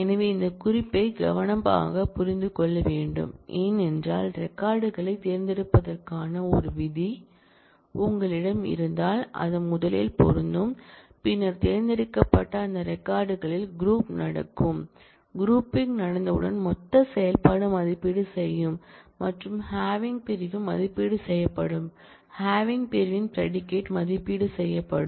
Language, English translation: Tamil, So, this point this note has to be understood carefully because, if you have a where clause to choose the records they it will first apply, then out of those records chosen the grouping will happen and once the grouping has happened, then the aggregate function will evaluate and the having clause will get evaluated, the predicate of having clause will get evaluated